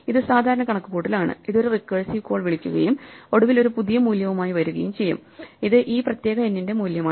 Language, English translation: Malayalam, This is the usual computation which will make a recursive call and eventually come up with a new value which is the value for this particular n